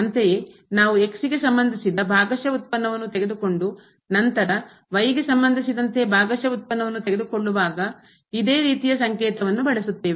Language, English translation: Kannada, Similarly, we have the notation when we take the partial derivative of and then we are taking the partial derivative with respect to